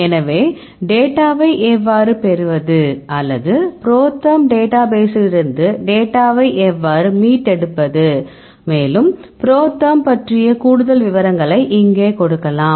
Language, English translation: Tamil, So, here you can see details how to obtain data, or how to retrieve data from ProTherm database and, here you can give the more details about the ProTherm all right